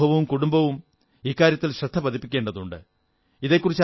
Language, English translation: Malayalam, Society and the family need to pay attention towards this crisis